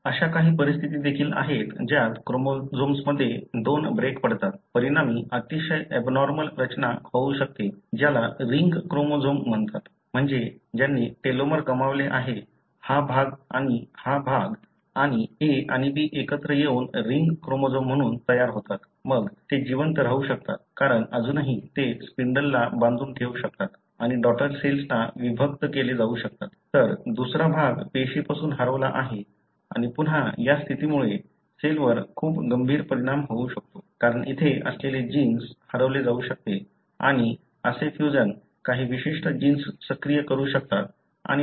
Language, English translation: Marathi, There are also conditions wherein two breaks in a chromosome, can result in very abnormal structure which is called as ring chromosome, meaning they have lost the telomere, this part and this part and the A and B join together to form as a ring chromosome; then they can survive, because still they can bind to spindle and being separated to the daughter cells, whereas the other part is lost from the cell and this condition again, can have very, very severe consequence on the cell, because genes that are present here may be lost and such fusion can also activate certain genes and so on